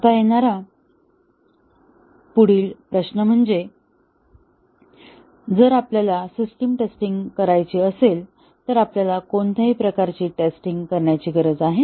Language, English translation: Marathi, Now, the next question that comes is, if we have to do the system testing, what sort of testing we need to do